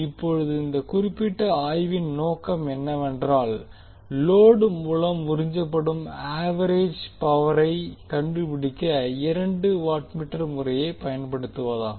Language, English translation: Tamil, Now the objective for this particular study is that will apply two watt meter method to find the average power absorbed by the load